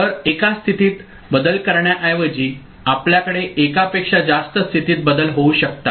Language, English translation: Marathi, So, instead of one state change we can have more than one state change taking place